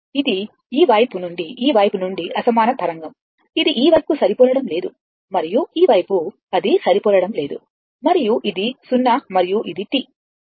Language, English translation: Telugu, It is not matching this side and this side it is not matching and this is your 0 and this is your T right